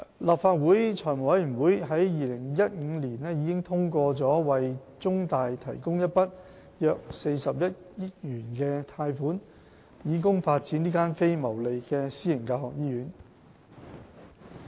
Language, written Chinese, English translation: Cantonese, 立法會財務委員會在2015年已通過為中大提供一筆約40億元的貸款，以供發展這間非牟利私營教學醫院。, The Finance Committee of the Legislative Council approved the provision of a loan of around 4 billion to CUHK in 2015 for developing this non - profit - making private teaching hospital